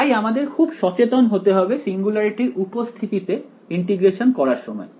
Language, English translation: Bengali, So, we have to be very careful of integrating in the presence of singularities ok